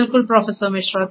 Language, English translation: Hindi, Absolutely, Professor Misra